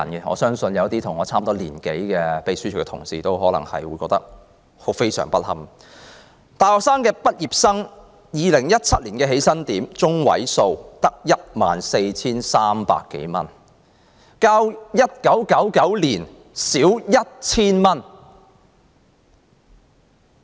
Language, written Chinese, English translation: Cantonese, 我相信一些與我年齡相若的秘書處同事可能會覺得非常不堪 ，2017 年大學畢業的起薪點中位數只有 14,300 多元，較1999年少 1,000 元。, Such a number is just appalling . I believe our colleagues in the Secretariat who are about the same age as I am will find this humiliating the median starting salary of university graduates in 2017 was only some 14,300 1,000 less than that in 1999